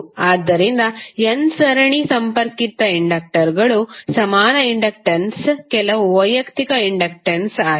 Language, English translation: Kannada, So, equivalent inductance of n series connected inductors is some of the individual inductances